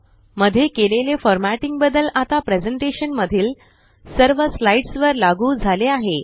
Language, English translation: Marathi, The formatting changes made in the Master are applied to all the slides in the presentation now